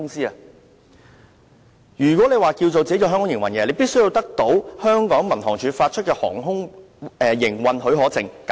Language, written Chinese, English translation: Cantonese, 若要在香港營運，必須取得民航處發出的航空營運許可證。, In order to operate business in Hong Kong a company has to obtain an Air Operators Certificate AOC issued by the Civil Aviation Department